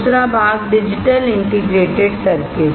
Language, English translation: Hindi, Second part digital integrated circuits